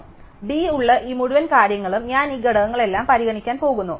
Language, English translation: Malayalam, So, this whole thing with d, I am going to construct all these squares